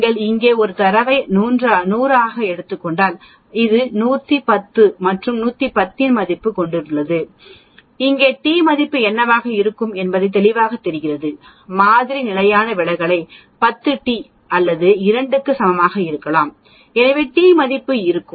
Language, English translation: Tamil, If you take a data as 100 here and this is 110 and 110 and value of 110 what will be the t value here obviously, t value will be if we take the sample standard deviation as 10 t value will be equal to 2 actually, that means it lies 2 standard deviations from the mean